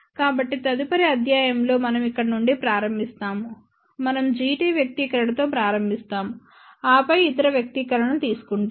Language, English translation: Telugu, So, in the next lecture, we will start from here; we will start with the expression G t and then, we derive other expression